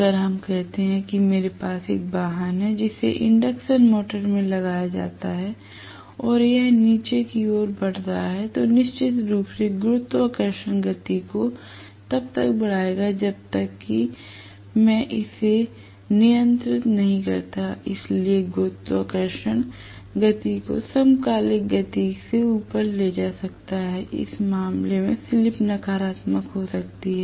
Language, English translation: Hindi, If let us say, I have a vehicle which is fitted with induction motor right and it is moving downhill, then definitely the gravity will make the speed go up unless I control it, so the gravity can make the speed go up beyond whatever is the synchronous speed also for what you know, in which case it can go into slip being negative